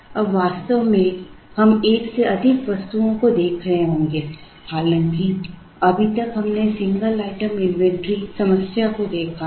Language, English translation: Hindi, Now, in reality we will be looking at more than one item, though so far we have seen single item inventory problems